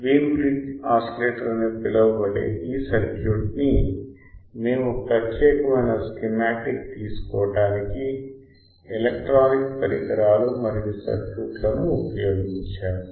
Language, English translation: Telugu, What is called Wein bridge oscillator these are circuit we have used electronic devices and circuits for taking the particular schematic